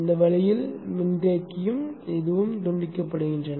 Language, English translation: Tamil, Now this way the capacitor and this are decoupled